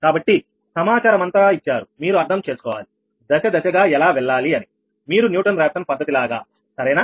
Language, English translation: Telugu, but you have understood that how we will move step by step in an you would newton raphson method, right